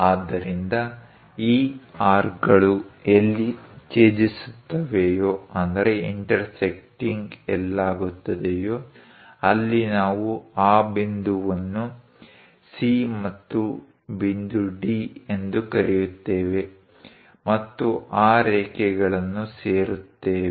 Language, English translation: Kannada, So, wherever these arcs are intersecting; we call that point C and point D and join that lines